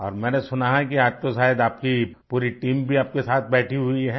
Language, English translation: Hindi, And I heard, that today, perhaps your entire team is also sitting with you